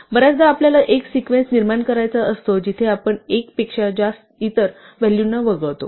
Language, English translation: Marathi, Often we may want to generate a sequence where we skip by a value other than 1